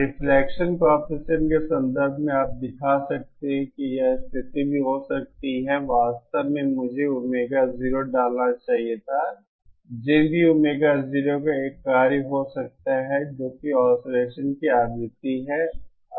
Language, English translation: Hindi, In terms of reflection coefficient you can show that this condition can alsoÉ Actually I should have put Omega 0, Z in might also be a function of Omega 0 that is the frequency of oscillation